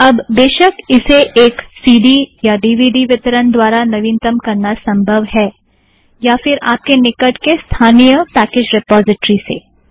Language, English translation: Hindi, Now, of course, it is also possible to update through a CD/DVD distribution or within your neighborhood if you have a local package repository